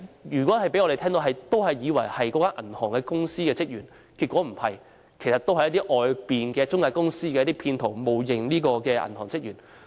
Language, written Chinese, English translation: Cantonese, 如果讓我們接到這些電話，也會以為是銀行職員致電，但其實不是，他們只是一些中介公司的騙徒，冒認銀行職員。, Had we received such calls we would also have thought that the callers were bank employees but in fact they were not . They were only fraudsters from some intermediaries impersonating bank employees